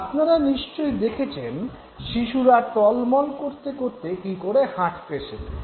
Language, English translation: Bengali, So, you must have seen, you know, toddlers how they learn how to walk